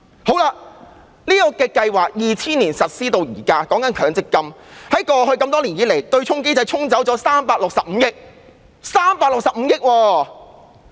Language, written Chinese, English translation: Cantonese, 強積金制度由2000年實施至今，過去多年來，對沖機制沖掉了365億元，是365億元！, Since the establishment of the MPF System in 2000 36.5 billion has been offset over the years . 36.5 billion!